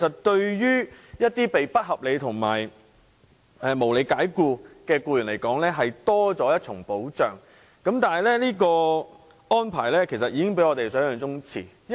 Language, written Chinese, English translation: Cantonese, 對一些被不合理及不合法解僱的僱員而言，這是多了一重保障，但這安排比我們想象中遲落實。, The above conditions provide one more protection to employees who are unreasonably or unlawfully dismissed but this arrangement is implemented later than we have expected